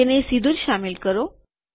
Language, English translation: Gujarati, Insert it directly